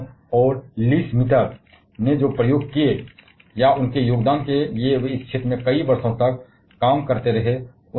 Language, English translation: Hindi, The experiments Otto Hohn and Lise Meitner they aided to the they for contributed or they continued to work on this particular field for several years